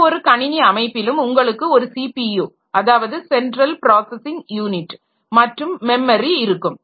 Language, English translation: Tamil, So, in any computer system that you have is that there is a CPU, the central processing unit, and we have got the memory